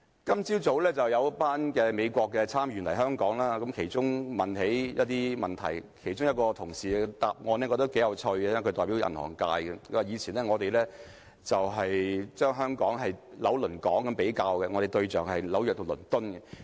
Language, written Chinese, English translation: Cantonese, 今早有一群美國參議員來港，他們問到一些問題，其中一位代表銀行界的同事的答案我覺得頗有趣，他說，以前我們以"紐倫港"來比較，我們的仿效對象是紐約和倫敦。, A group of senators from the United States came to visit Hong Kong this morning and they asked a number of questions . I found the answers of a colleague representing the banking sector very interesting . He said that we used to compare Hong Kong with New York and London and hence the term Nylongkong was coined